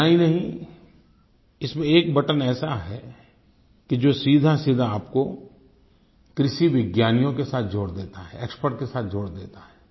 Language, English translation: Hindi, There is a button on the App which will connect you directly with agricultural scientists and link you with the experts